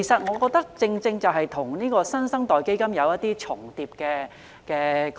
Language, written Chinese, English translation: Cantonese, 我覺得這與"新生代基金"的概念有重疊的地方。, I think this overlaps with the concept of the New Generation Fund